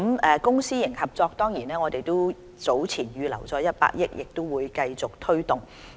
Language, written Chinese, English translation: Cantonese, 在公私營協作計劃方面，我們早前預留了100億元，亦會繼續推動。, We have earlier earmarked 10 billion to the Public - Private Partnership Programme and will continue to take forward the programme